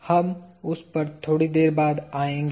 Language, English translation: Hindi, We will come to that a little later